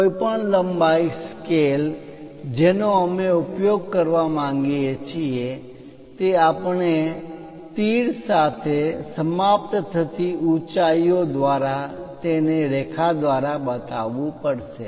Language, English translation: Gujarati, Any length scale which we would like to use we have to show it by line with arrows terminating heights